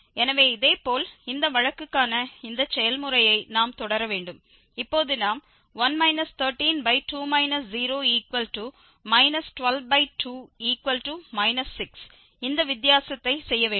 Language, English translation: Tamil, So, similarly, we have to continue with this process for this case, now we have to make this difference 1 minus 12 so 1 minus 13